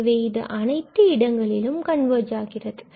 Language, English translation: Tamil, So, it will converge everywhere